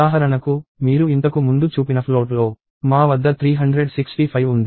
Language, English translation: Telugu, So, for example, in the float that you showed earlier, so we have 365